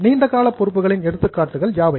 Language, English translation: Tamil, So, what are the examples of long term